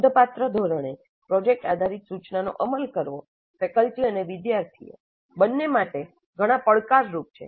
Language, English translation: Gujarati, Implementing project based instruction on a significant scale has many challenges, both for faculty and students